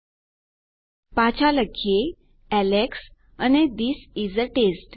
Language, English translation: Gujarati, Lets go back and say Alex and This is a test